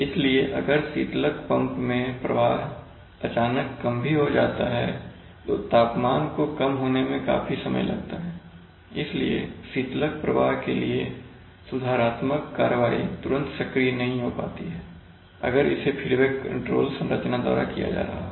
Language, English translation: Hindi, So even if the coolant pump flow suddenly falls, for the temperature to fall it takes a lot of time, so the, so there is, so the corrective action to the to the coolant flow does not take place if it is done using a, using the feedback control structure, so we have feed forward control